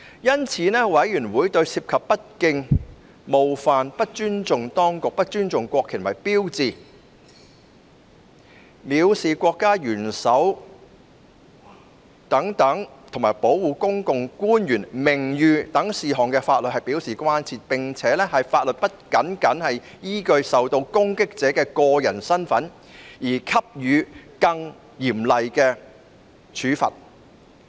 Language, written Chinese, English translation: Cantonese, 因此，委員會對涉及不敬、冒犯、不尊重機關、不尊重國旗及標誌、藐視國家元首及保護政府官員名譽等事項的法律表示關注，並認為法律不能僅僅依據受到攻擊者的個人身份而給予更嚴厲處罰。, Accordingly the Committee expresses concern regarding laws on such matters as lese majesty desacato disrespect for authority disrespect for flags and symbols defamation of the head of state and the protection of the honour of public officials and laws should not provide for more severe penalties solely on the basis of the identity of the person that may have been impugned